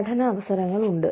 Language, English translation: Malayalam, Learning opportunities are there